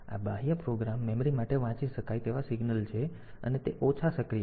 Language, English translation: Gujarati, This is the read signal for the external program memory and it is active low